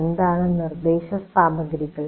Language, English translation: Malayalam, Now what is instructional material